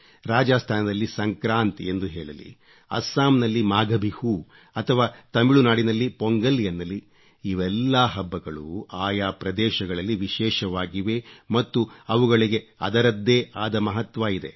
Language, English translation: Kannada, In Rajasthan, it is called Sankrant, Maghbihu in Assam and Pongal in Tamil Nadu all these festivals are special in their own right and they have their own importance